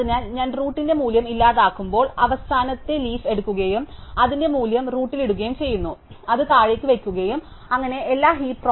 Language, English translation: Malayalam, So, when I delete the value at the root, I take the last leaf, put its value in the root and then I put it down so that all the heap properties are satisfied